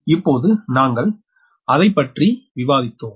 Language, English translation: Tamil, right, just now we have discussed that